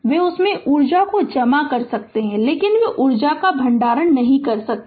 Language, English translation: Hindi, They you can store energy in them, but they cannot store energy